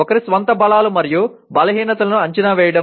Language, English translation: Telugu, Evaluating one’s own strengths and weaknesses